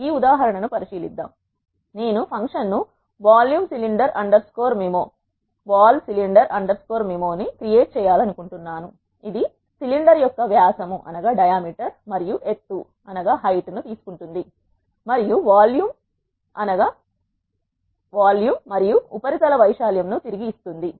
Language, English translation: Telugu, Let us consider this example I want to create a function vol cylinder underscore MIMO which takes diameter and height of the cylinder and returns volume and surface area